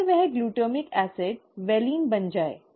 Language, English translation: Hindi, If that glutamic acid becomes a valine, right